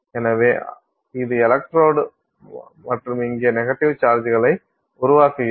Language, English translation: Tamil, So, this is the electrode and you build negative charges here